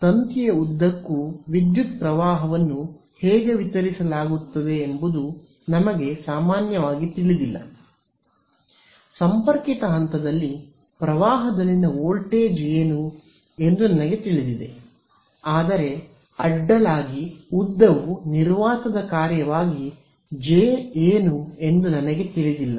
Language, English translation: Kannada, The trouble we said is that we do not typically know how is the current distributed along the length of the wire; I mean, I know what is the voltage at the current at the point of connected, but across the length I do not know what is J as a function of space